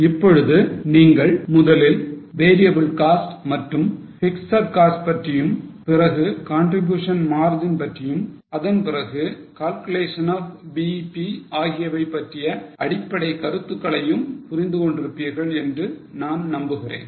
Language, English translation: Tamil, I hope you have understood the basic concepts now relating to, first about variable cost, fixed cost, then the contribution margin and then about the calculation of BEP